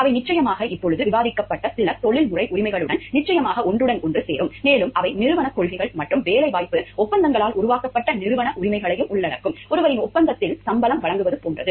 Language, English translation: Tamil, They will of course, definitely overlap with some of the professional rights of the sort that just discussed and they also include institutional rights created by organizational policies and employment agreements; such as to be paid a salary in ones contract